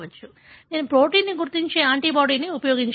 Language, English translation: Telugu, So, I can use an antibody which recognizes the protein